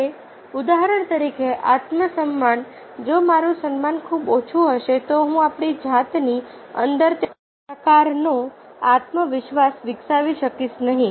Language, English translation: Gujarati, if my esteem is very low, i will not develop that kind of confidence within ourselves